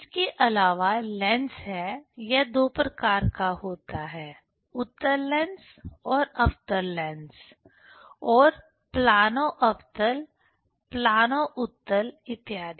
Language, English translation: Hindi, Also there is lens; it is of two types: the convex lens, and the concave lens; again plano concave, plano convex etcetera